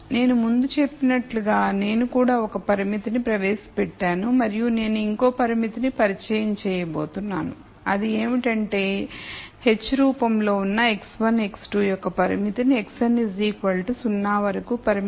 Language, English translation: Telugu, But like I said before let us assume that I also introduced one constraint and I am going to introduce let us say a constraint which is of the form h of x 1 x 2 all the way up to x n equal to 0